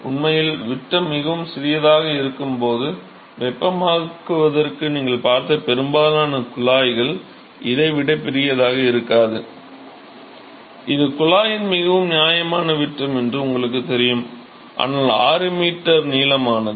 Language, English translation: Tamil, When the diameter may be very small in fact, most of the tube that you saw for heating up probably not bigger than this, you know this is the pretty reasonable size dais of the tube, but then 6 meter is pretty long